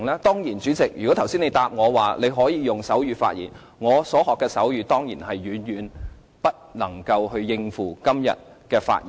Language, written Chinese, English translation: Cantonese, 當然，主席，如果你剛才回答我"你可以用手語發言"，我所學的手語當然遠遠不能應付今天的發言。, Of course President even if you gave me a positive answer just now I do not think I can possibly cope with my speech today with the sign language I have learnt